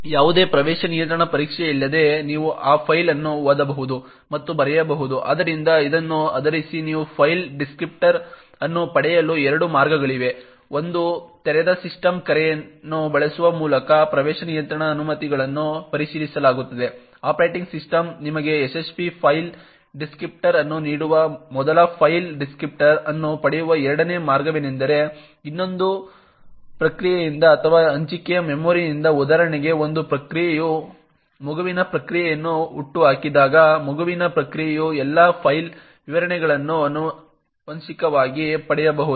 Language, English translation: Kannada, You can read and write to that file without any access control test which are done, so based on this there are two ways in which you can obtain a file descriptor, one is through using the open system call during which access control permissions are checked by the operating system before giving you a successful file descriptor, a second way to obtain a file descriptor is from another process or from shared memory, for example when a process spawns a child process than a child process would can inherit all the file descriptors